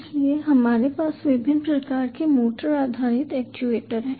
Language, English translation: Hindi, so we have various types of motor based actuators